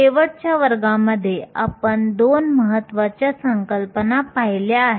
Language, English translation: Marathi, In last class, we looked at 2 important concepts